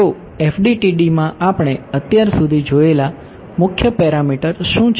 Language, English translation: Gujarati, So, what are the main parameters that we have seen so far in the FDTD